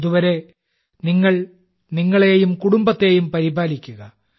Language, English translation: Malayalam, Till then please take care of yourself and your family as well